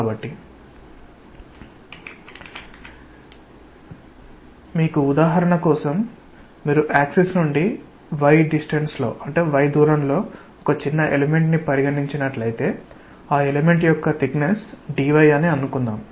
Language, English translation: Telugu, So, if you have for example, if you consider a small element at a distance y from the axis, and let us say the thickness of the element is dy